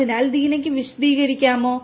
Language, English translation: Malayalam, So, Deena could you please explain